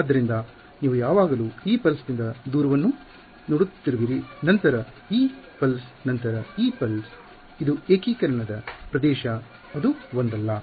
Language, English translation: Kannada, So, you are always looking at the distance from this pulse then this pulse then this then this pulse, this is the region of integration no singularities